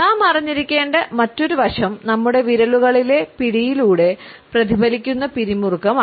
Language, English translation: Malayalam, Another aspect we have to be aware of is the tension which is reflected through the grip in our fingers